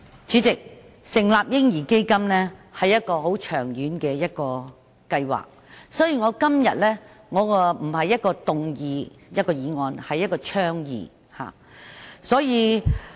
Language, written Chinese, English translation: Cantonese, 主席，成立"嬰兒基金"是一個很長遠的計劃，所以，我今天並不是動議一項議案，而是提出一項倡議。, President the establishment of a baby fund is a plan for the very long term . Therefore it is not a motion but an advocacy that I have proposed today